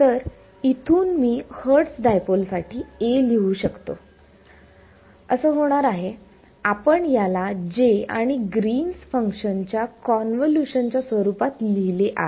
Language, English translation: Marathi, So, from here I can write down A for this Hertz dipole, it is going to be we have written it as the convolution of J and G 3D